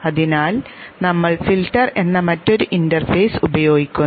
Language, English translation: Malayalam, So we use another interface called the filter